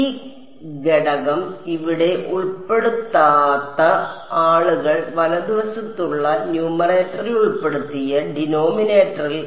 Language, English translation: Malayalam, People who do not include this factor here in the denominator they included in the numerator of the on the right hand side